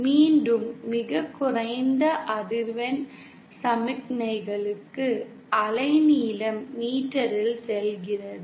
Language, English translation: Tamil, And again for very low frequency signals, the wavelength goes in metres